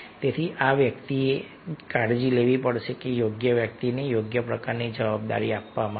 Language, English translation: Gujarati, so this one has to take care that the right person is given right kind of responsibility